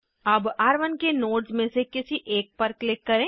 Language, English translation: Hindi, Now let us click on one of the nodes of R1